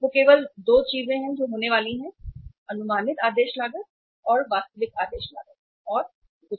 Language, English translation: Hindi, That is only going to happen, only 2 things; estimated ordering cost and the actual ordering cost nothing else